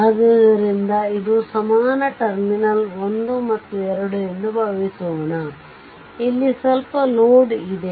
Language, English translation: Kannada, So, that is your this is an equivalent suppose terminal 1 and 2 some load is there